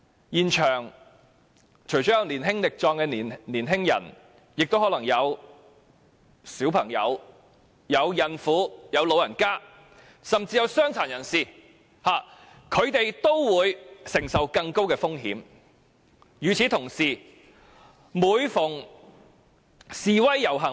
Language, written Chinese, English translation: Cantonese, 現場除了有年輕力壯的青年人外，也可能會有小朋友、孕婦及長者，甚至傷殘人士，他們面對的風險自然更高。, This is very dangerous . Apart from those who are young and strong the people present at the scene may include children pregnant women elderly people and even disabled persons . The risks faced by them are ever higher